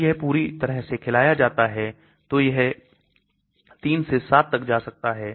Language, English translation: Hindi, When it is fully fed, it could go up to 3 to 7